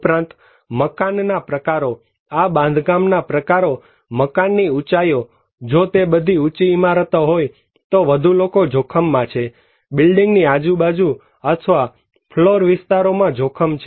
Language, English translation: Gujarati, Also, the types of buildings; the type of constructions or building height, if they are all taller building more people are exposed to hazards or in a building edge or built up floor areas of the buildings